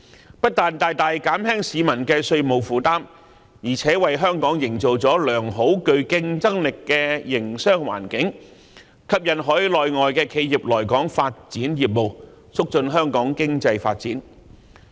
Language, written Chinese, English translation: Cantonese, 這不但大大減輕了市民的稅務負擔，而且為香港營造了良好和具競爭力的營商環境，吸引海內外的企業來港發展業務，促進香港的經濟發展。, This has not only greatly alleviated peoples tax burden but also cultivated a satisfactory and competitive business environment in Hong Kong one which has induced overseas and Mainland enterprises to develop business in Hong Kong and fostered Hong Kongs economic development